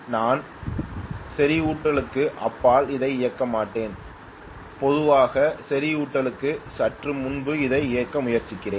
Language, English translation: Tamil, I will not operate it much beyond the saturation generally I will try to operate it just before the saturation